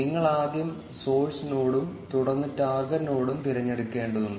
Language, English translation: Malayalam, You need to first select the source node and then the target node